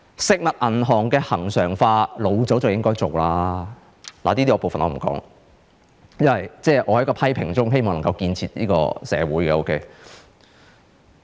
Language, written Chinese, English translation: Cantonese, 食物銀行恆常化早應該做，這部分我不說了，因為我希望能夠在批評中建設社會。, The regularization of food banks is long overdue but I will not dwell on this point any further . I just want to say something positive in my criticism